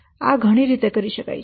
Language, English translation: Gujarati, So this can be done by several ways